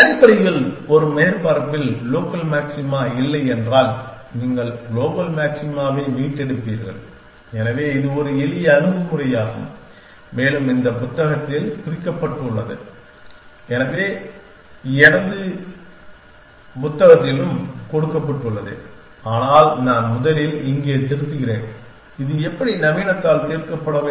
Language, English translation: Tamil, Essentially, if a surface has no local maxima, then you will restore global maxima, so that will a simple approach to and is given in this book which has mention it also given in my book, but, I first edit here which is how to solved by modern in